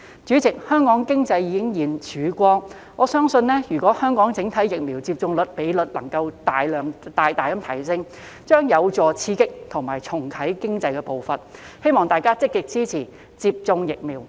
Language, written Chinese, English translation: Cantonese, 主席，香港經濟已現曙光，我相信如果香港整體疫苗接種率能夠大大提升，將有助刺激和重啟經濟的步伐，希望大家積極支持接種疫苗。, President we have seen a ray of hope for the Hong Kong economy . I believe if the overall vaccination rate in Hong Kong can be greatly increased it will be conducive to stimulating and relaunching the economy . I hope that Members will actively support the vaccination programme